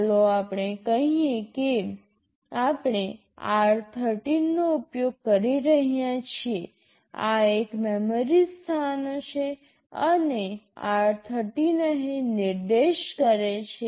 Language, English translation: Gujarati, Let us say we are using r13, these are some memory locations and r13 is pointing here